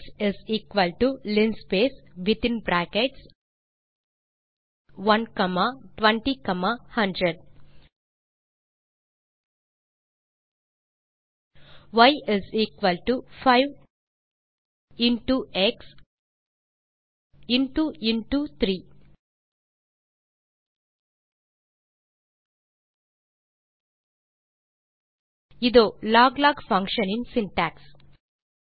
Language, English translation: Tamil, x = linspace within brackets 1 comma 20 comma 100 y = 5 into x into 3 Here is the syntax of the log log function